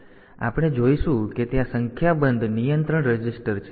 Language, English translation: Gujarati, So, we will be using we will see that there are a number of control registers